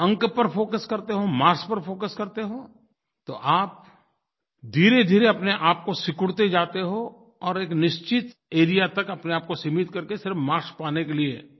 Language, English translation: Hindi, However if you concentrate and focus only on getting marks, then you gradually go on limiting yourself and confine yourself to certain areas for earning more marks